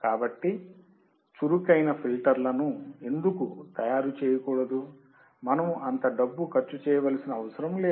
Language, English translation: Telugu, So, why not to make up active filters when, we do not have to spend that much money